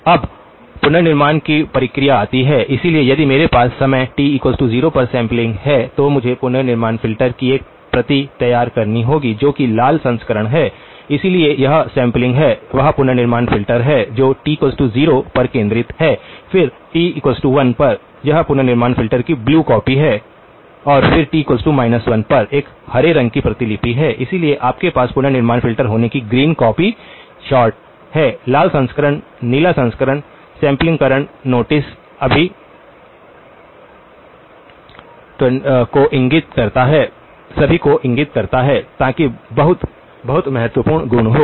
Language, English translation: Hindi, Now, comes the reconstruction process, so if I have which is the sample at time t equal to 0, I have to produce a copy of the reconstruction filter which is the red version, so that is the sample; that is the reconstruction filter centred at t equal to 0, then at t equal to 1, it is the blue copy of the reconstruction filter and then at t equal to minus 1 is a green copy, so you have the green copy sort of occurring the reconstruction filter the red version the blue version, notice at the sampling points all of them (()) (25:27) so that is the very, very important property